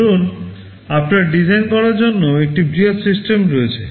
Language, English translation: Bengali, Suppose you have a large system to be designed